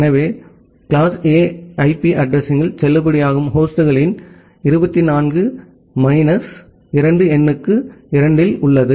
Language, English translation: Tamil, Whenever you have 24 bits in the host address, that means, your number of valid host for a class A IP address is 2 to the power 24 minus 2